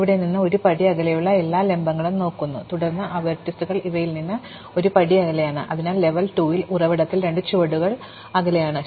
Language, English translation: Malayalam, Looks at all the vertices which are one step away from the source, then those vertices that are one step away from these ones, so they are at level 2, two steps away from the source and so on